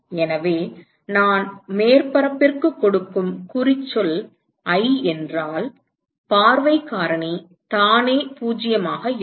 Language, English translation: Tamil, So, if i is the tag that I give to the surface then the view factor to itself is 0